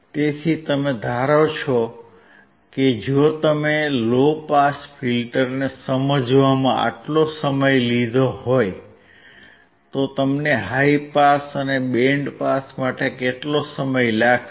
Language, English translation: Gujarati, So, you assume that if you have taken so much time in understanding low pass filters how much time you will take for high pass and band pass